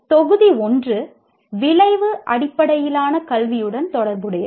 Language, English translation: Tamil, The first one is related to outcome based education